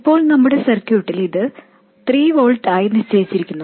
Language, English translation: Malayalam, Now, in our circuit this is fixed at 3 volts